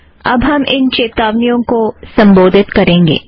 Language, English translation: Hindi, We will now proceed to address these warnings